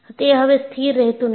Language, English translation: Gujarati, It no longer remains constant